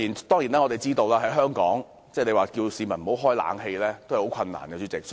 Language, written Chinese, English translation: Cantonese, 當然，在香港，要市民不開冷氣是很困難的。, Certainly in Hong Kong it is very difficult to ask members of the public not to turn on the air conditioners